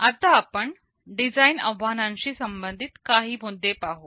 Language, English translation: Marathi, Let us look at some issues relating to design challenges first